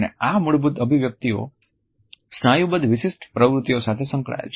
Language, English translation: Gujarati, And these basic expressions are associated with distinguishable patterns of muscular activity